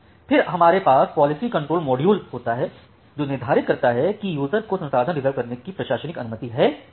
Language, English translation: Hindi, This policy control module determines whether the user has administrative permission to make the reservation